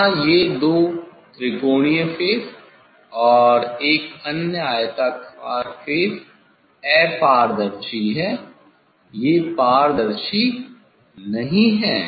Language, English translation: Hindi, here these two triangular face and that other one rectangular face, they are opaque, they are not transparent; they are not transparent